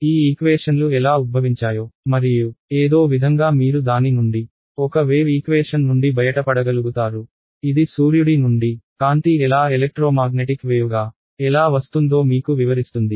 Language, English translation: Telugu, That is how these equations were derived and somehow you are able to get out of it a wave equation which suddenly then explains to you how light from the sun reaches as its coming as a electromagnetic wave